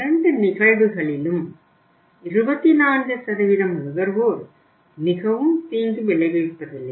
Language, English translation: Tamil, In both the cases 24% consumers are not very harmful but still it is not good